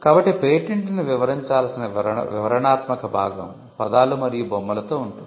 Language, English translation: Telugu, So, the descriptive part, when a patent is described would be in words and figures